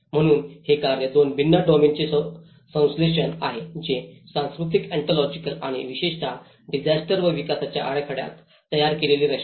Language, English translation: Marathi, So that is where it’s synthesis from two different domains of work that is the cultural anthropology and the morphology especially in the disaster and development set up